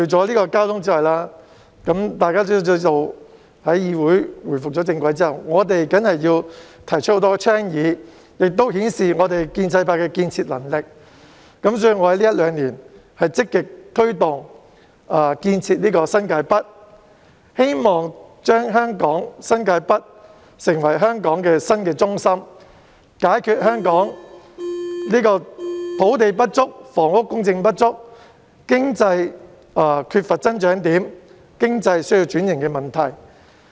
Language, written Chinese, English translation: Cantonese, 大家皆知道，在議會回復正軌後，我們要提出很多交通以外的倡議，顯示建制派的建設能力，所以我在這一兩年積極推動建設新界北，希望新界北成為香港新的中心，解決香港土地不足、房屋供應不足、經濟缺乏增長點及經濟需要轉型的問題。, As Members all know after the legislature has got back on track we must propose initiatives covering those areas other than transport as a show of the constructiveness of the pro - establishment camp . This explains why I have actively promoted the development in New Territories North over the past couple of years in the hope of transforming New Territories North into a new centre of Hong Kong and in turn resolving such problems as a shortage of land and housing supply the lack of economic growth areas and also the need for economic transformation in Hong Kong